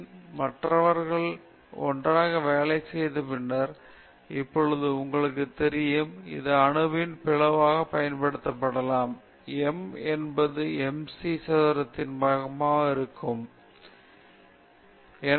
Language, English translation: Tamil, So, then Einstein, other people have worked together, and then, you know now, this can also be used for splitting the atom; e is equal to m c square and all that right